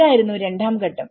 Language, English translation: Malayalam, So, this is a stage 2